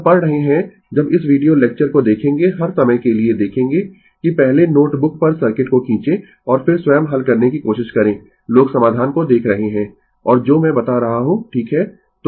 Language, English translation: Hindi, When you are reading when you read this video lecture for all the time you will see that first you draw the circuit on your note book and then you will try to solve of your own people looking into the solution and what I am telling right